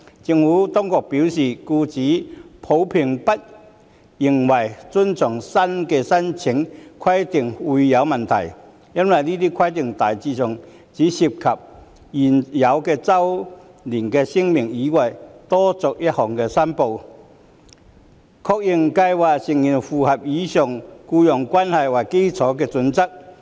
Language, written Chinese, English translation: Cantonese, 政府當局表示，僱主普遍並不認為遵從新的申報規定會有問題，因為這些規定大致上只涉及在現有的周年聲明以外多作一項申報，確認計劃成員符合以僱傭關係為基礎的準則。, The Administration has advised that employers in general do not see difficulty in meeting the new reporting requirements as such requirements generally only involve making an additional declaration on top of the existing annual statement to confirm that the membership of the schemes complies with the employment - based criterion